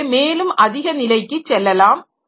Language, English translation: Tamil, So, you can go slightly higher level